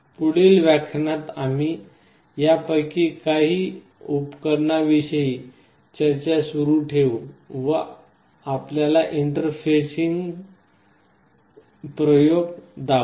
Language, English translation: Marathi, In the next lecture we shall be continuing with some more of these devices that we will be using to show you or demonstrate the interfacing experiments